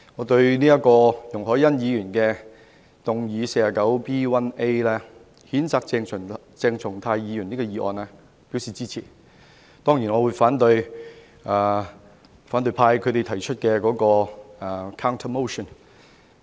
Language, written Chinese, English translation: Cantonese, 對於容海恩議員根據《議事規則》第 49B 條動議譴責鄭松泰議員的議案，我表示支持。當然，我會反對由反對派提出的 counter motion。, I express my support to the motion moved by Ms YUNG Hoi - yan under Rule 49B1A of the Rules of Procedure to censure Dr CHENG Chung - tai and also my opposition of course to the counter motion moved by the opposition camp